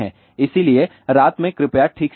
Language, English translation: Hindi, So, in the night please sleep properly